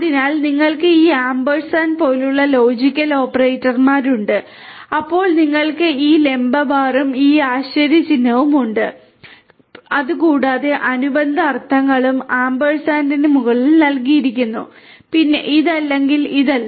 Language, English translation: Malayalam, So, then you have this logical operators like ampersand, then you have this vertical bar and this exclamation sign and there corresponding meanings are also given over ampersand is AND, then this is OR and this is NOT